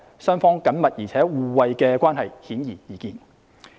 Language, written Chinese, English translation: Cantonese, 雙方緊密而互惠的關係，顯而易見。, The close and reciprocal relations between the two places are obvious